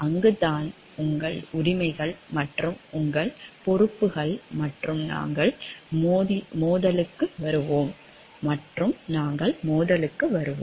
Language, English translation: Tamil, And that is where maybe your rights and your responsibilities and we will come to conflict